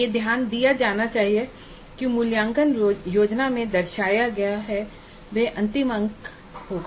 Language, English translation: Hindi, But it should be noted that what is indicated in the assessment plan would be the final marks